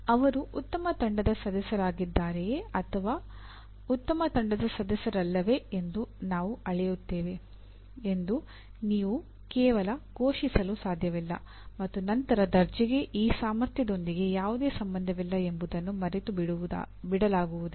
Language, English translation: Kannada, You cannot just merely announce that we will measure, he is a good team member, not so good team member and forget about this the grade has nothing to do with this ability